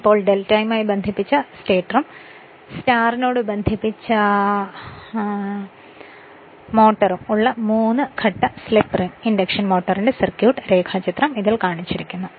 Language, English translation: Malayalam, So, now circuit diagram of a three phase slip ring induction motor with delta connected stator and [y/star] star connected rotor is shown in this